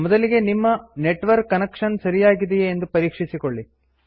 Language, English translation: Kannada, First, make sure that your network connection is configured correctly